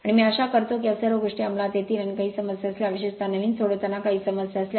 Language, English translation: Marathi, And I do hope that all of you will under and if you have any problem if you have any sort of problem particularly solving new